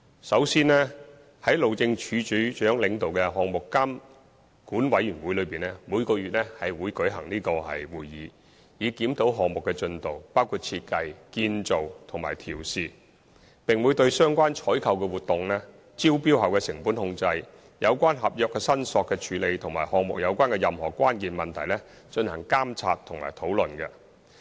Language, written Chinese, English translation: Cantonese, 首先，由路政署署長主持的項目監管委員會每月會舉行會議，以檢討項目的進度，包括設計、建造及試運行，並會對相關的採購活動、招標後的成本控制、有關合約申索的處理及與項目有關的關鍵問題，進行監察及討論。, First the Project Supervision Committee chaired by the Director of Highways holds monthly meetings to review the progress of the project covering various aspects such as design construction and test runs . It will also monitor and discuss procurement activities post - tender cost control resolution of contractual claims and various key issues of the project